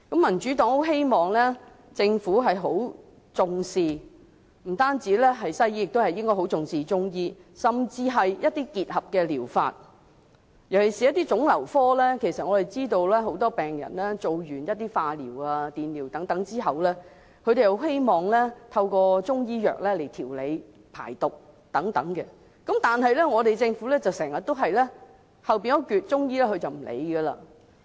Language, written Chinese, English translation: Cantonese, 民主黨希望政府不但重視西醫，也重視中醫，甚至是結合療法，尤其是在腫瘤科，很多病人完成化療、電療後，都希望透過中醫藥調理、排毒等，但政府卻常常對後半部的中醫診療置諸不理。, The Democratic Party hopes that the Government stresses not only Western medicine but also Chinese medicine and even combined therapy especially for oncology because many patients who have completed chemotherapy or radiotherapy would wish to take Chinese medicine to regulate their bodily functions or for the purpose of detoxification . Yet the Government has always ignored this latter part of treatment that uses Chinese medicine